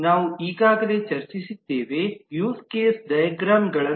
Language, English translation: Kannada, We have already discussed about the use case diagram at length